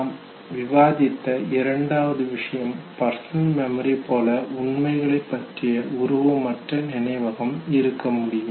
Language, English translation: Tamil, The second aspect what we discussed was that there could be non image based memory also of facts that are similar to personal memory